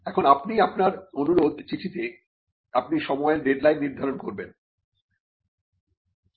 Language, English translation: Bengali, Now you would in your request letter, you would also stipulate a deadline